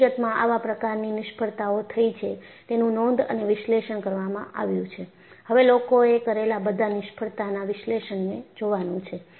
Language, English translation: Gujarati, And, in fact, such failures have happened and it has been recorded and analyzed; what you will have to look at is, people have analyzed all those failures